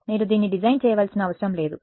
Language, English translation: Telugu, You do not have to design it